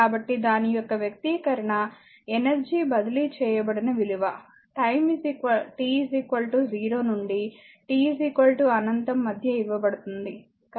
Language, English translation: Telugu, So, expression for energy transferred is given by it is given in between time t is equal to 0 to t is equal to infinity